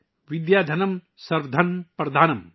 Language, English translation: Urdu, Vidyadhanam Sarva Dhanam Pradhanam